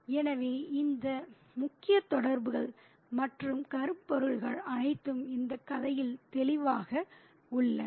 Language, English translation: Tamil, So, all these major concerns and themes are evident in this story